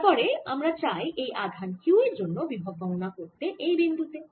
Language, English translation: Bengali, then we wish to calculate the potential of this charge q at this point